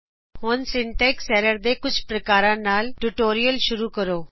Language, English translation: Punjabi, Lets begin the tutorial with some types of syntax errors